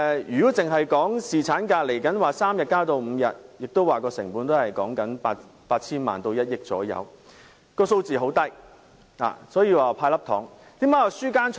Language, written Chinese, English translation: Cantonese, 如果只談將侍產假由3天增至5天的建議，成本亦只是大約 8,000 萬元至1億元，數字很低，這就是為何我會說"派粒糖"。, Therefore the proposal to increase paternity leave from three days to five days involves only a small amount of about 80 million to 100 million which is why I call it giving away a candy